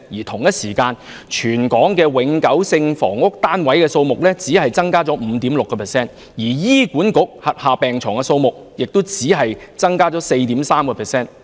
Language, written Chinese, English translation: Cantonese, 同一時間，全港永久性房屋單位數目只增加了 5.6%， 而醫管局轄下病床數目則只增加了 4.3%。, In the same period the number of permanent housing units in Hong Kong merely increased by 5.6 % whereas there was only an increase of 4.3 % in the number of hospital beds under the Hospital Authority